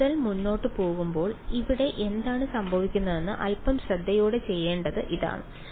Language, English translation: Malayalam, Going in further this is where we have to do it a little bit carefully what will happen over here